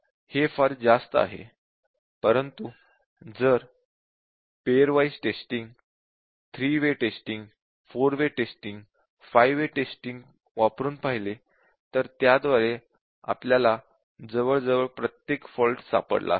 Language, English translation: Marathi, So, just too many, but you can try out the pair wise testing, 3 way testing, 4 way testing, 5 way testing and by that we would have got almost every bug